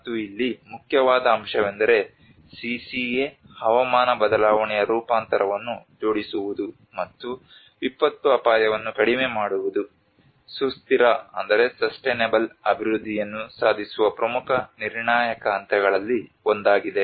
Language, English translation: Kannada, And the main important point here is linking the CCA climate change adaptation, and the disaster risk reduction is one of the important crucial steps to achieve the sustainable development